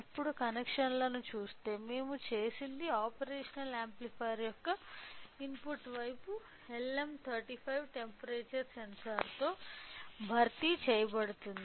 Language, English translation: Telugu, Now, if we see the connections so, what we have done is replaced input side of the operational amplifier with LM35 temperature sensor